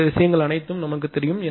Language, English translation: Tamil, All this things are known